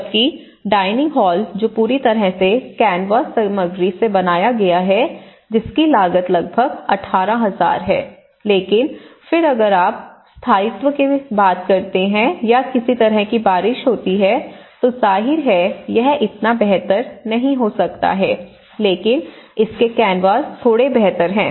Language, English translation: Hindi, whereas, the dining hall which is completely built with the canvas material, so that itself has costed about 18,000 material but then if you talk about the durability or if there is any kind of rain occurs then obviously this may not so better and but this is little better than the canvas aspect of it